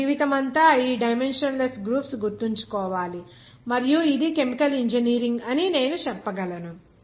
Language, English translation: Telugu, I souse you to remember this dimensionless group throughout your life; I can say that as a chemical engineering